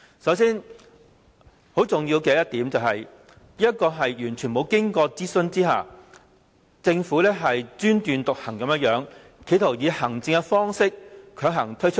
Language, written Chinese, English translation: Cantonese, 首先，很重要的一點，就是政府完全沒有經過諮詢，專斷獨行地企圖強行以行政方式推出方案。, First most importantly the Government is making a very autocratic and forcible administrative attempt to roll out the proposal in the absence of any consultation